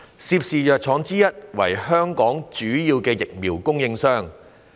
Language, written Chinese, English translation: Cantonese, 涉事藥廠之一為香港主要的疫苗供應商。, One of the pharmaceutical companies involved is a major vaccine supplier of Hong Kong